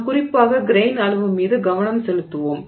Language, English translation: Tamil, We will look at in particular we will focus on grain size